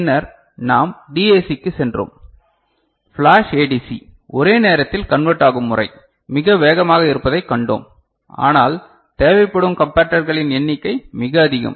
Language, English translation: Tamil, And then we moved to ADC and we found that flash ADC the simultaneous conversion method that is very fast, but the number of comparators required is very large ok